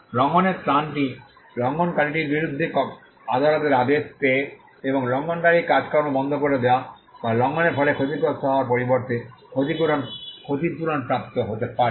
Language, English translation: Bengali, The relief of infringement can be injunction getting a court order against the infringer and stopping the activities the infringing activities or it could also be damages pertains to compensation in lieu of the loss suffered by the infringement